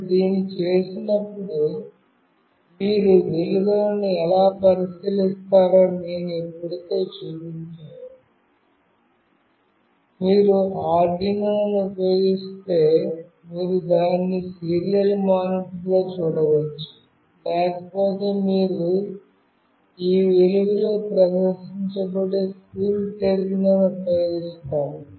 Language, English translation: Telugu, When you do it, I have already shown you that how you will be looking into the values, if you use Arduino, you can see it in the serial monitor; else you use CoolTerm where all these values will get displayed